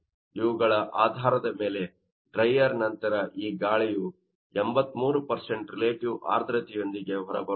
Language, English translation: Kannada, So, based on these up to dry of this air will be coming out as you know with 83% of relative humidity